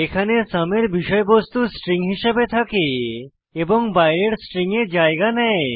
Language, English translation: Bengali, Here the content of sum is returned as a string and is substituted into the outer string